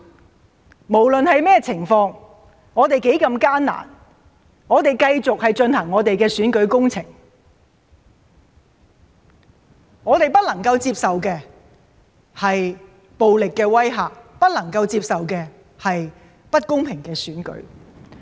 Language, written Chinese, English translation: Cantonese, 我們不論有任何情況，有多麼艱難，仍會繼續進行選舉工程，我們不能接受暴力的威嚇，不能接受不公平的選舉。, No matter what happens no matter how difficult the battle is the election campaign will go on . We do not accept the threat of violence and we do not accept an unfair election